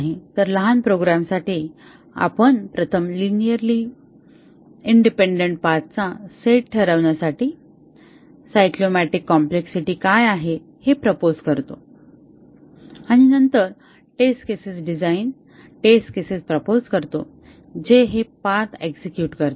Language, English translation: Marathi, So, for small programs we first determine what the cyclomatic complexity is determine the set of linearly independent paths and then propose test cases design test cases which will execute this paths